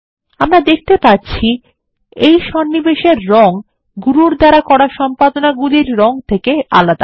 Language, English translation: Bengali, We can see that the colour of this insertion is different from the colour of the edits done by Guru